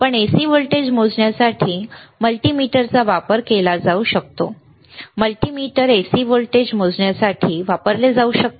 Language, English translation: Marathi, But can multimeter be used to measure the AC voltage; can a multimeter, can be used to measure AC voltage